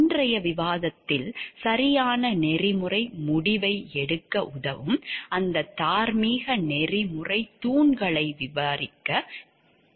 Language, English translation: Tamil, In today’s discussion we will elaborate on those moral ethical pillars which help us to take a proper ethical decision